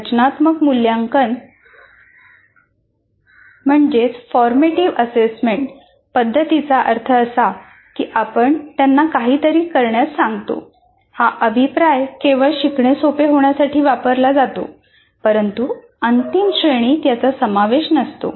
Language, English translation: Marathi, Formative assessment methods means you are asking them to do something, but they are only used for facilitating learning but not for contributing to the final grade or any such activity